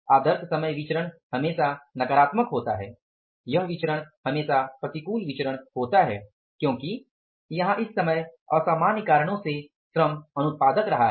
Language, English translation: Hindi, Either time variance is always negative variance is always adverse variance because labor has been unproductive because of abnormal reasons here in this time